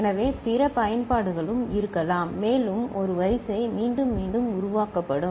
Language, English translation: Tamil, So, there could be other applications as well for a sequence getting generated repetitively